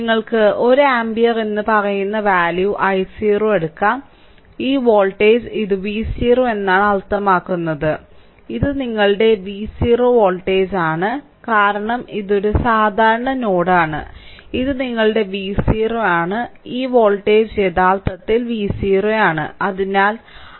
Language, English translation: Malayalam, You can take i 0 any values say 1 ampere right, 1 ampere and this voltage this voltage say it is V 0 V 0 means this is the voltage your V 0 right, this is the voltage your V 0 right, because this is a common node and this is your V 0; so, this voltage actually V 0